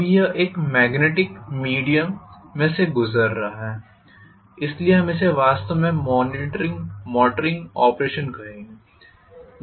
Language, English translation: Hindi, Now this is going through magnetic via media, so we will call this as actually the motoring operation